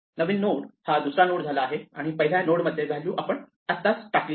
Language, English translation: Marathi, So, the new node becomes the second node and the first node now has the value that we just added